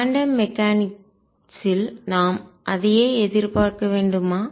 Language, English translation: Tamil, Should we expect the same thing in quantum mechanics